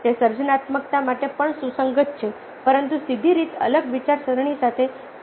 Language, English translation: Gujarati, that also is relevant for ah creativity, but is not directly to the be equated with divergent thinking